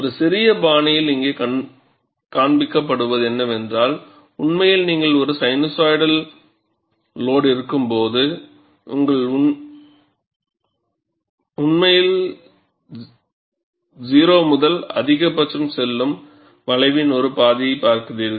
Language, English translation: Tamil, And what is shown here, in a tiny fashion, is actually, when you have a sinusoidal load, you are actually looking at one half of the curve there, where you are going from 0 to maximum